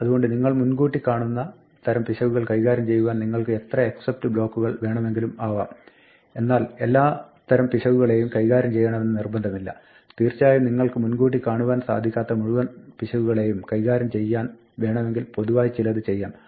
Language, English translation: Malayalam, So, you could have as many except blocks as you have types of errors which you anticipate errors for it is not obligatory to handle every kind of error, only those which you anticipate and of course, now you might want to do something in general for all errors that you do not anticipate